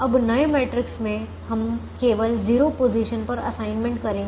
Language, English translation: Hindi, now in in the new matrix, we would only make assignments in zero positions